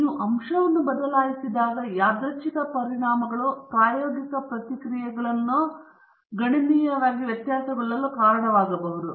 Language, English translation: Kannada, When you change the factor may be the random effects are causing the experimental response to deviate considerably